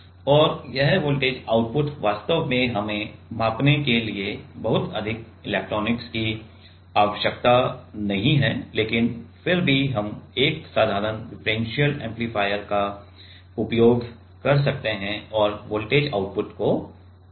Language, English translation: Hindi, And this voltage output actually like we do not need much electronics for to measure that, but still we can use a simple differential amplifier and amplify the gain amplify the voltage output